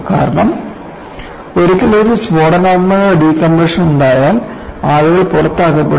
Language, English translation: Malayalam, Because once there is an explosive decompression, people will be sucked out